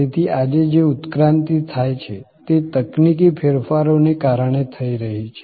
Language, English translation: Gujarati, So, this evolution that is taking place is taking place due to technology changes